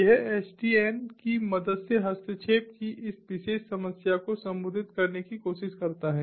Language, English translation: Hindi, it tries to address this particular problem of interference through the help of sdn